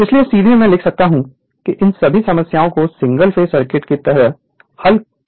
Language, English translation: Hindi, So, directly can write all these problems we have solve like is like your single phase circuit